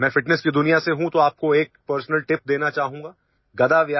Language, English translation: Urdu, I am from the world of fitness, so I would like to give you a personal tip